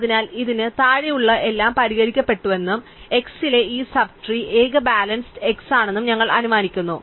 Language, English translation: Malayalam, So, we are assuming that everything below this has been fixed and the only in balance in this sub tree at x is x itself